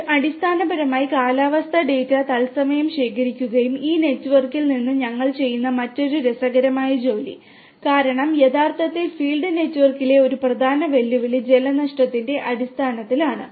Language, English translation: Malayalam, This also basically collects the data and transports in the real time the weather data and from this network the other interesting work which we are doing is because one of the major challenges in the real field network is in terms of water losses